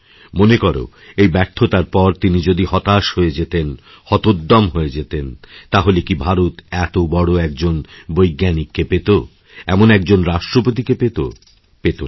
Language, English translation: Bengali, Now suppose that this failure had caused him to become dejected, to concede defeat in his life, then would India have found such a great scientist and such a glorious President